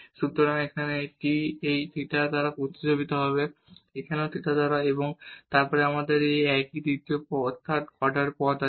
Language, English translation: Bengali, So, here the t will be replaced by this theta, here also by theta and then we have this third order terms